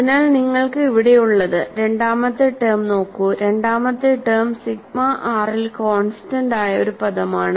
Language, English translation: Malayalam, So, what we have here is, look at the second term the second term is a constant term in the sigma r also